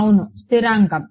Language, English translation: Telugu, It is constant